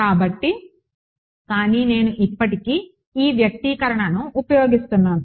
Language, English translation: Telugu, So,, but I am still using this expression